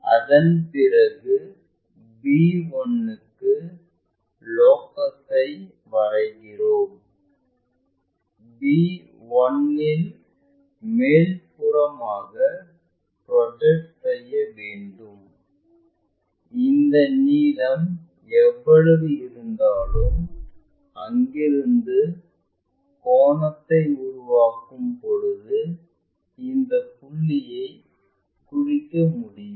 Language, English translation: Tamil, After, that we draw locus for b 1, from b 1 project it all the way up, whatever this length we have it from there make a angle, so that we will be in a position to locate this point